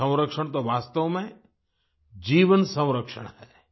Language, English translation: Hindi, Water conservation is actually life conservation